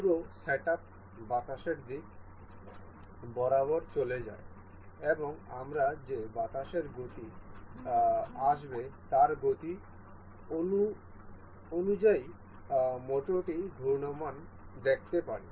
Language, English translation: Bengali, The whole set up moving along the direction of wind and also we can see the motor rotating as per the speed of the wind that will be coming